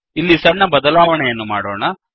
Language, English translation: Kannada, Now, we can make a change here